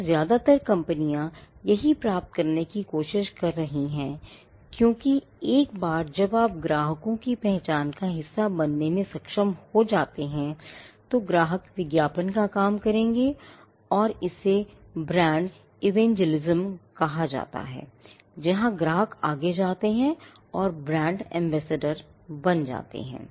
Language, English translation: Hindi, So, this is also what most companies are trying to get to because, once you are able to become a part of your customers identity then, the customers would do the job of advertising and this is referred to as brand evangelism, where the customers go forward and become brand ambassadors